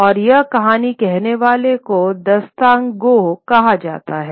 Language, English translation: Hindi, And the person who tells the story is called a Dastan Gau